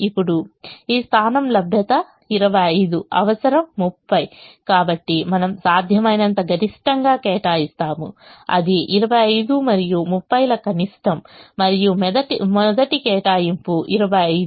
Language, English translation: Telugu, so we will allocate the maximum between twenty five, the maximum possible, which is the minimum of twenty five and thirty, and the first allocation is twenty five